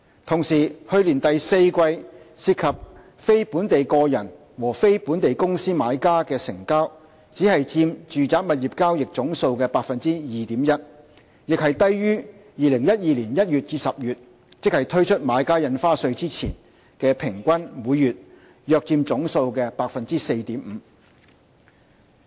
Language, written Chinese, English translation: Cantonese, 同時，去年第四季涉及非本地個人和非本地公司買家的成交只佔住宅物業交易總數的 2.1%， 亦低於2012年1月至10月，即推出買家印花稅前的數字，即平均每月約佔總數的 4.5%。, Meanwhile non - local individual and non - local company buyers accounted for only 2.1 % of total residential property transactions in the fourth quarter last year also lower than the monthly average of about 4.5 % of total transactions in January to October 2012 ie . the period before the introduction of BSD